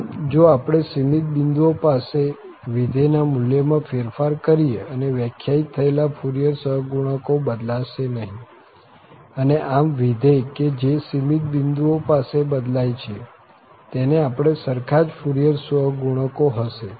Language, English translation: Gujarati, So, if we alter the value of the function at finite number of points and the integral defining Fourier coefficients are unchanged and thus the functions which differ at finitely many points, have exactly the same Fourier coefficients